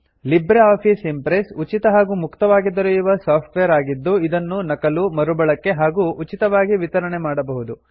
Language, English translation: Kannada, LibreOffice Impress is free, Open Source software, free of cost and free to use and distribute